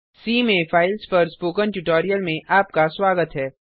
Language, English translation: Hindi, Welcome to the spoken tutorial on files in C